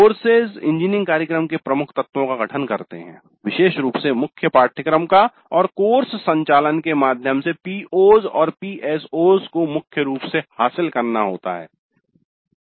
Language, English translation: Hindi, Courses constitute major elements of an engineering program particularly the core courses and POs and PSOs have to be majorly attained through courses